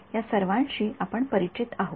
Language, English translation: Marathi, We are familiar with all of this right